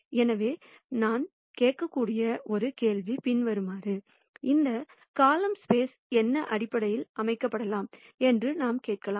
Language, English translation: Tamil, So, one question that we might ask is the following; we could ask what could be a basis set for this column space